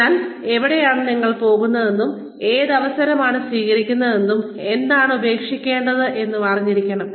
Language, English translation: Malayalam, So, you should know, where you are headed, and which opportunity to take, and which to let go of